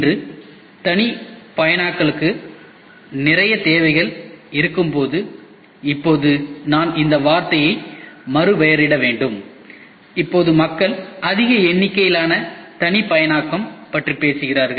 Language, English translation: Tamil, Today, when there is lot of requirement for customization and now I have to rephrase this term also now today people talk about mass customization